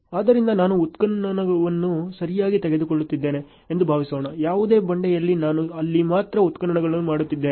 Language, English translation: Kannada, So, suppose I am taking excavation ok, there is no rock I am only doing excavation there ok